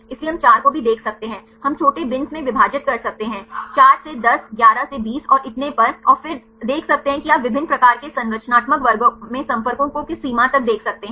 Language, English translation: Hindi, So, we can see even 4 we can divide into small bins, 4 to 10 11 to 20 and so on and then see which range you can see the contacts in different types of a structural classes